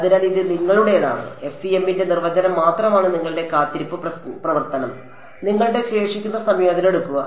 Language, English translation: Malayalam, So, this is your this is just the definition of FEM take your waiting function, take your residual integrate